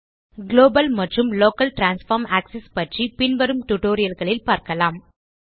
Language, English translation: Tamil, We will discuss about global and local transform axis in detail in subsequent tutorials